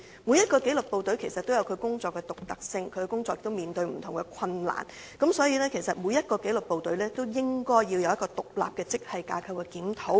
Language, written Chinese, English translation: Cantonese, 每一紀律部隊的工作均有其獨特性，在工作上亦會面對不同困難，所以對每一紀律部隊應作出獨立的職系架構檢討。, An independent grade structure review should respectively be conducted for each disciplined service because the work of each disciplined service has its own uniqueness and each of them is faced with different difficulties